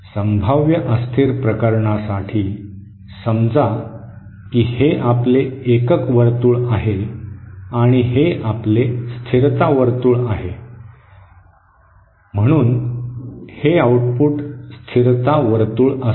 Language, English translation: Marathi, For the potentially unstable case, say this is your unit circle and this is your stability circle so this will be the output stability circle